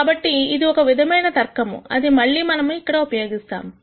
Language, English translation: Telugu, So, that is the kind of logic that we are going to use again here